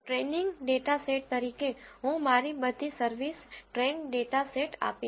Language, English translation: Gujarati, As a training data set I will give all my service train dataset